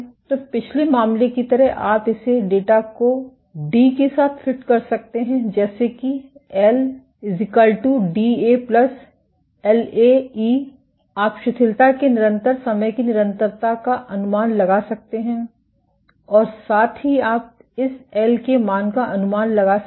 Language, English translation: Hindi, So, just like previous case you can fit this data with let us say D a plus L a e to the power minus t by tau, you can get an estimate of the characteristic time constant of relaxation and also you can estimate this L a value